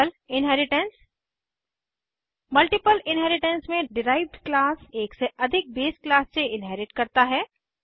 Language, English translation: Hindi, Multiple inheritance In multiple inheritance, derived class inherits from more than one base class